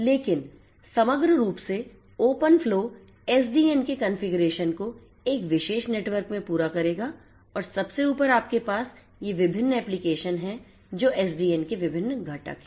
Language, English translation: Hindi, But holistically open flow as a whole will cater to the configuration of SDN in a particular network and on the top you have these different applications so, these are these different components of SDN